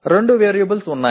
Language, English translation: Telugu, There are two variables